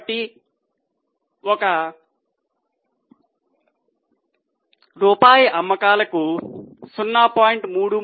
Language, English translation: Telugu, So, for one rupee of sales they had 0